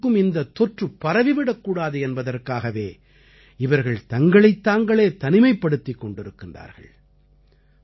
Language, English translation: Tamil, These people have isolated and quarantined themselves to protect other people from getting infected